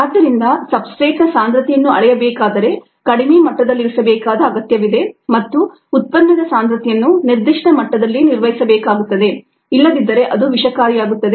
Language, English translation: Kannada, so if ah hold on ah, it is a it substrate concentrations need to be measured, ah need to kept at a low level and also the product concentration needs to be maintained at a certain level, otherwise it would become toxic